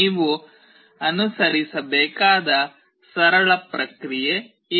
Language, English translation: Kannada, This is a simple process that you have to follow